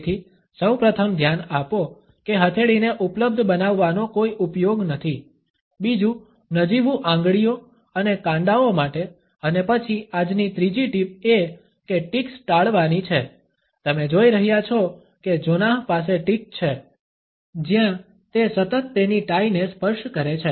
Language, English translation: Gujarati, So, the first thing pay attention one for no use of like make in the palms available, second for flimsy fingers and wrists and then third tip today is to avoid ticks you are going see that Jonah has a tick where he constantly touches his tie